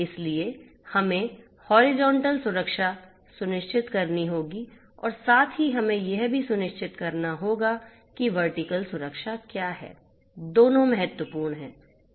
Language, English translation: Hindi, So, we have to ensure horizontal security as well as we need to also ensure this one which is the vertical security both are important